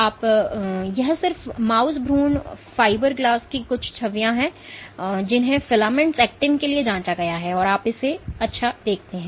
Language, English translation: Hindi, And this is just some images of mouse embryonic fiberglass which have been probed for filamentous actin and you see nice